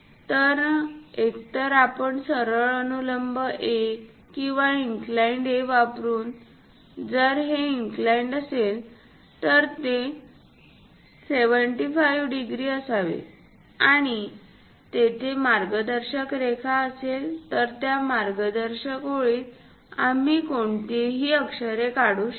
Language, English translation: Marathi, So, either we use straight vertical A or an inclined A; if this is inclined is supposed to be 75 degrees, and there will be a guide lines, in that guide lines we draw any lettering